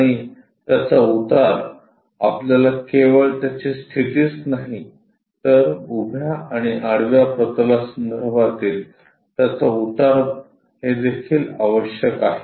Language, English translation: Marathi, And its inclination not only the position what we require is its inclination with vertical plane and horizontal plane also required